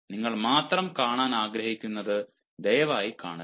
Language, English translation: Malayalam, please do not see what you only want to see